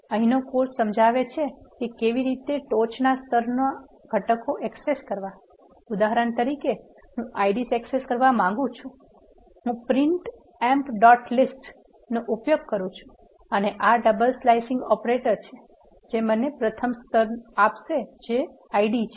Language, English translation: Gujarati, The course here illustrates how to access the top level components; for example, I want access the IDs, I can use print emp dot list and this is a double slicing operator which will give me the first level which is ID